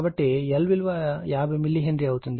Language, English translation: Telugu, So, L will become is 50 milli Henry